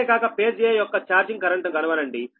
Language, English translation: Telugu, also, find out the charging current of phase a